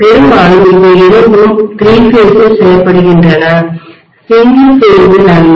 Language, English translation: Tamil, Mostly these two are done in 3 phase, not in single phase